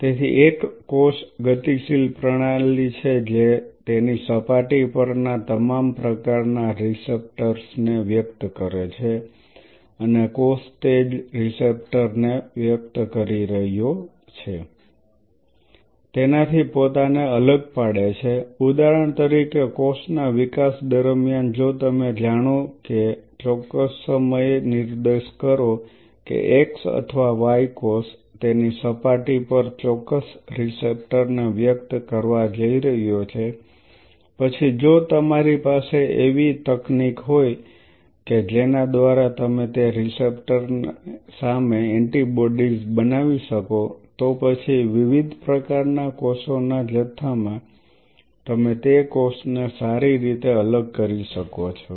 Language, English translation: Gujarati, So, a cell is a dynamic system it expresses a whole sorts of receptors on its surface and a cell distinguishes itself by the kind of receptor it is expressing now see for example, during the development of the cell if you know that at a specific time point that x or y cell is going to express a specific receptor on its surface then if you have a technology by virtue of which you can grow antibodies against that receptor then in a pool of different cell types you can separate out that cell well